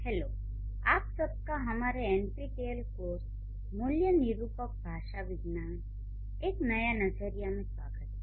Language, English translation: Hindi, Hello, everyone, welcome to this session of our NPTL course, Appreciating Linguistics or Typological Approach